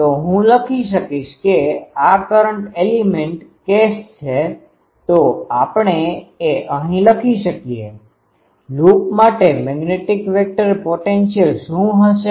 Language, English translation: Gujarati, So, I will write this is current element case; so, here we can write that for loop what will be magnetic vector potential